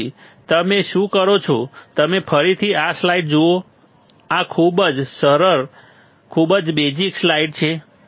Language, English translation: Gujarati, Till then what you do is you again see this slides these are very easy, very, very basic slides